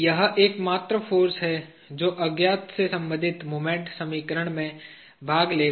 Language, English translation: Hindi, This is the only force that will take part in the moment equation related to the unknowns